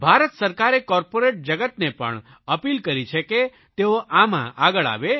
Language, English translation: Gujarati, Government of India has also appealed to the corporate world to come forward in this endeavour